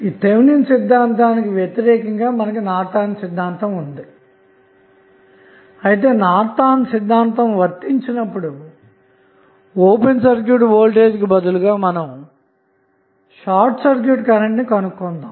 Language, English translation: Telugu, Opposite to the Thevenin's we have the Norton's theorem, because in this case, instead of open circuit voltage, we need to find out the circuit current